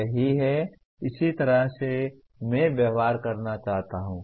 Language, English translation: Hindi, That is, this is the way I wish to behave